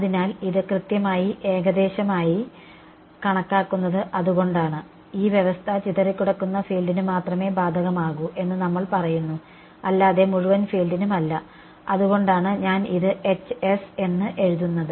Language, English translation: Malayalam, So, that is why it was in exact hence the approximation and we are also said that this condition applies only to the scattered field not the total field that is why I am writing this as H s